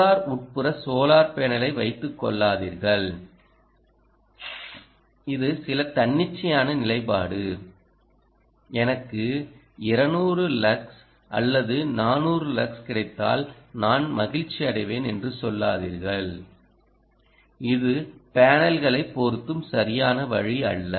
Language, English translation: Tamil, just dont keep the solar indoor solar panel its some arbitrary position and say, ah, i will get two hundred lux or i will get four hundred lux and i will be happy